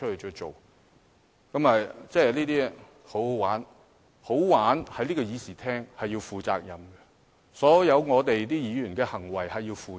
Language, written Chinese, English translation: Cantonese, 在這個議事廳，"好玩"是必須負上責任的，所有議員均須為其行為負責。, In this Chamber it is necessary to assume responsibility for having fun . All Members must bear the responsibility for their behaviour